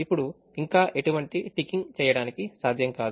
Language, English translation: Telugu, therefore, no more ticking is possible